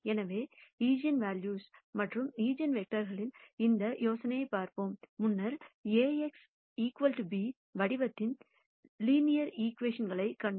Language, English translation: Tamil, So, let us look at this idea of eigenvalues and eigenvectors, we have previously seen linear equations of the form Ax equal to b